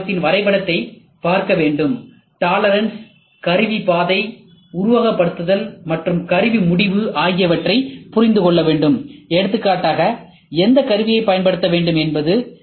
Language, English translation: Tamil, Next is you have to see a CNC part drawing, and understand the concept of tolerance, tool path simulation, and tool decision, for example which tool to use and what